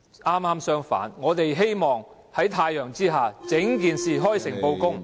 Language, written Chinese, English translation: Cantonese, 剛好相反，我們希望在太陽下，將整件事開誠布公。, On the contrary we intend to make the whole issue public and expose everything under the sun